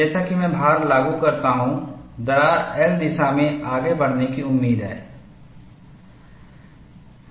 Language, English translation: Hindi, I have the crack here; as I apply the load, the crack is expected to advance in the L direction